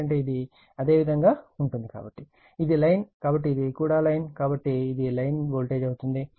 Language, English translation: Telugu, Because, this is line this is your, this is line, so this is also line, so that will be line to line voltage right